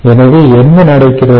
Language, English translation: Tamil, ok, so what happens